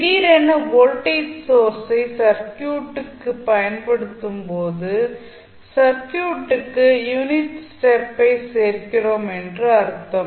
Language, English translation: Tamil, So, when you suddenly apply the voltage source to the circuit it means that you are adding unit step to the circuit